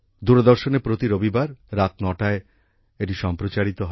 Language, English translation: Bengali, It is telecast every Sunday at 9 pm on Doordarshan